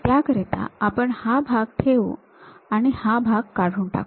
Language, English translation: Marathi, This part retain it and this part remove it